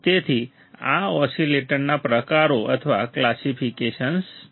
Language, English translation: Gujarati, So, these are the types of or classification of the oscillators